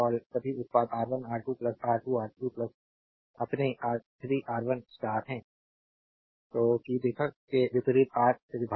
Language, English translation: Hindi, All the product R 1, R 2 plus R 2 R 3 plus your R 3 R 1 divided by the opposite R of the star that we have seen